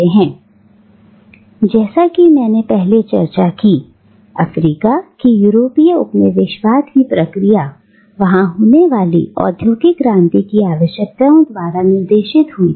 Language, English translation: Hindi, Now, as I have discussed earlier, the process of European colonialism of Africa was guided by the requirements of the Industrial Revolution that took place there